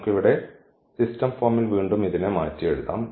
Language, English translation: Malayalam, We can rewrite in the system form here